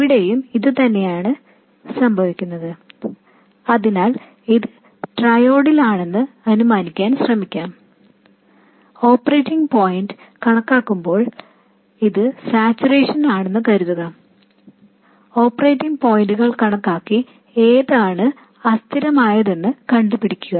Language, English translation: Malayalam, So, you can try assuming that this is in triode, calculating the operating points, and assuming that this is in saturation, calculating the operating points and see which is inconsistent